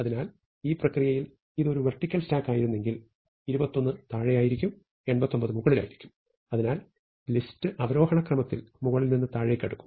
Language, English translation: Malayalam, So, in this process if this had been a vertical stack, 21 would be at the bottom, 89 would be at the top, and so we would have the list sorted from top to bottom in descending order